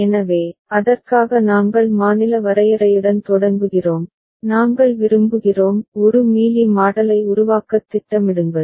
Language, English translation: Tamil, So, for that we are beginning with the state definition and we also prefer plan to work out a Mealy Model ok